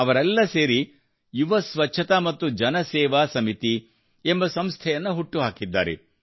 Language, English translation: Kannada, He formed an organization called Yuva Swachhta Evam Janseva Samiti